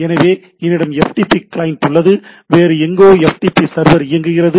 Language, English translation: Tamil, So, I have FTP client somewhere FTP server is running